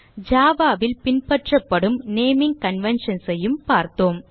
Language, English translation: Tamil, We also saw the naming conventions followed in java